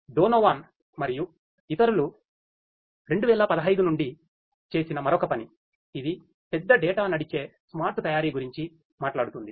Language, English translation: Telugu, Another work from 2015 by Donovan et al it talks about big data driven smart manufacturing